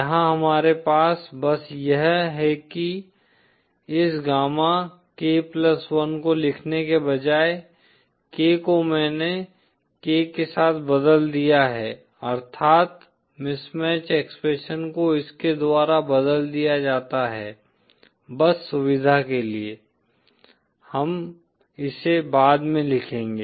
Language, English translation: Hindi, Here we have simply, instead of writing this gammak+1,k I've replaced this with k, that is the mismatch expression is replaced by this, just for convenience, we shall see this later